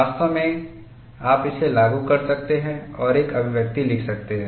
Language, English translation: Hindi, In fact, you could invoke that and write an expression